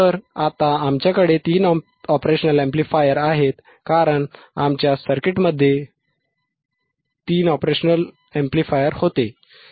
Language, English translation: Marathi, So, now we have here three operational amplifiers; 1, 2, and 3 right because in our circuit also we had three OP Amps right